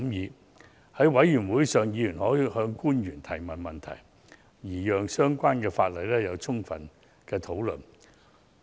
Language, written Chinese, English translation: Cantonese, 在法案委員會上，委員可向官員提問，讓相關法案經充分討論。, At Bills Committee meetings members may put questions to public officers and thoroughly discuss the bills